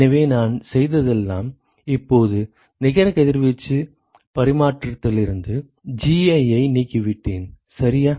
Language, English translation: Tamil, So all I have done is I have now eliminated Gi from the net radiation exchange ok